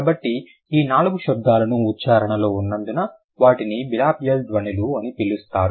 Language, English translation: Telugu, So, these four sounds are known as bilibial sound because of the place of articulation that they have